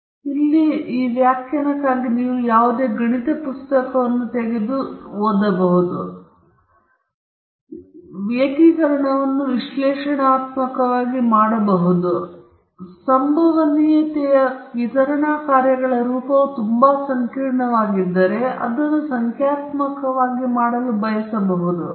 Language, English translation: Kannada, So when you do that, you get a particular value if you know the form of the function f of x; either you can do this integration analytically or if the form of the probability distribution functions is quite complex, then you may want to do it numerically